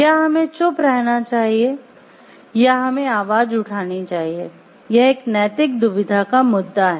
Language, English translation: Hindi, Should we keep silent or should we voice is a point of ethical dilemma